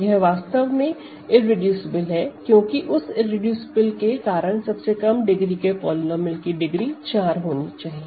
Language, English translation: Hindi, And then it becomes irreducible because if it is not irreducible, then it is product of two smaller degree, but positive degree polynomials